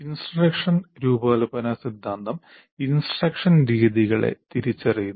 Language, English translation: Malayalam, Now, instructional design theory identifies methods of instruction